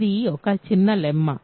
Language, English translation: Telugu, So, this is a small lemma